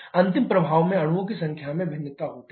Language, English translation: Hindi, Final effect is the variation in the number of molecules